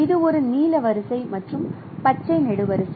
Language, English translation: Tamil, For example, this is a blue row and green column